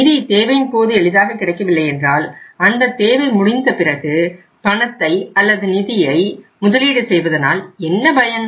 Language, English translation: Tamil, If the funds are not easily available as and when they are required so what is the purpose of that investment that money or those funds if they come after the need is over